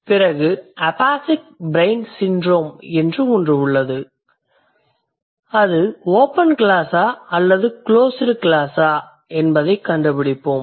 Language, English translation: Tamil, Then there is something called phasic brain syndromes and we'll find out whether they're open class or the closed class words